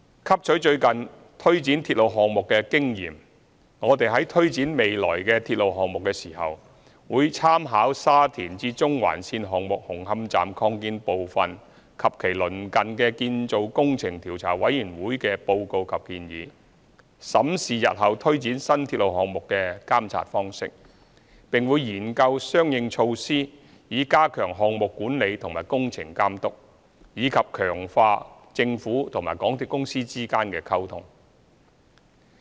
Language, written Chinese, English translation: Cantonese, 汲取最近推展鐵路項目的經驗，我們在推展未來的鐵路項目時，會參考沙田至中環綫項目紅磡站擴建部分及其鄰近的建造工程調查委員會的報告及建議，審視日後推展新鐵路項目的監察方式，並會研究相應措施以加強項目管理和工程監督，以及強化政府和港鐵公司之間的溝通。, Having regard to the experience gained in implementing railway projects recently we will draw reference from the report and recommendations made by the Commission of Inquiry into the Construction Works at and near the Hung Hom Station Extension under the Shatin to Central Link Project when carrying out future railway projects examine the monitoring approach in new railway projects explore corresponding measures to enhance project management and works supervision and strengthen communication between the Government and MTRCL